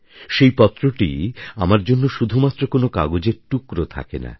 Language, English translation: Bengali, That letter does not remain a mere a piece of paper for me